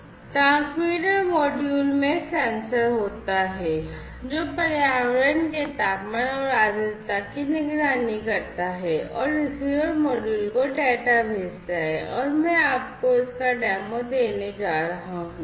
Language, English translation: Hindi, So, the transmitter module has the sensor that monitors the temperature and humidity of the environment and sends the data to the receiver module and this is what I am going to give you a demo of